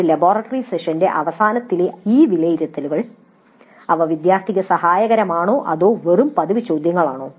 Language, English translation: Malayalam, Now these assessments at the end of a laboratory session were they helpful to the students or were they just mere routine questions